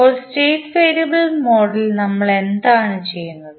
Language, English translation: Malayalam, So, what we do in state variable model